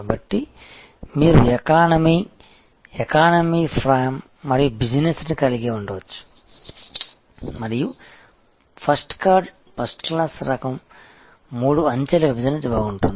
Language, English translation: Telugu, So, you can have an economy, economy prime and business and first class type of three tier segregation will be good